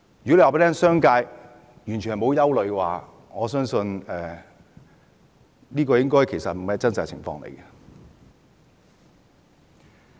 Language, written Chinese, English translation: Cantonese, 如果說商界完全沒有憂慮，我相信這並非真實的情況。, To say that the business sector is completely free from worries is simply untrue I believe